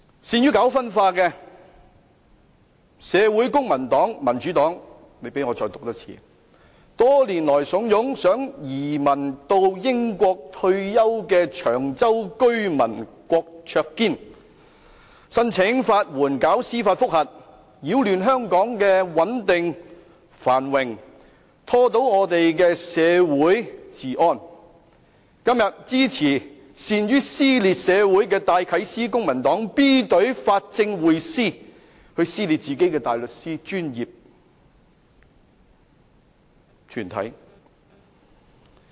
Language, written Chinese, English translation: Cantonese, 善於搞社會分化的公民黨、民主黨，多年來慫恿想移民到英國退休的長洲居民郭卓堅，申請法援以進行司法覆核，擾亂香港的穩定、繁榮，破壞香港的社會治安，今天支持善於撕裂社會的戴啟思、公民黨 B 隊法政匯思，撕裂自己的大律師專業團體。, The Civic Party and Democratic Party are very good at creating social dissension . Over the years they have instigated a Cheung Chau resident KWOK Cheuk - kin who wants to emigrate to the United Kingdom to retire to apply for legal aids to conduct judicial reviews . They disturb the stability and prosperity of Hong Kong and damage the law and order of society